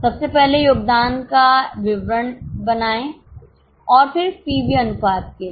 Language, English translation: Hindi, Firstly make a statement of contribution and for PV ratio